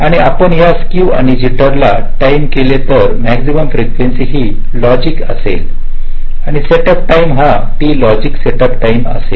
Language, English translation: Marathi, and if you ignore this skew and jitter, for the time been, theoretically the maximum frequency would have been just the logic and setup times, just one by t logic setup time